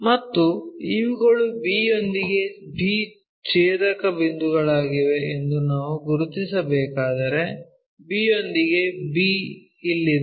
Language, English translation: Kannada, And when we are doing that these are the intersection points b with b we have to locate, b with b is here